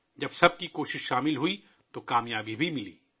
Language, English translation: Urdu, When everyone's efforts converged, success was also achieved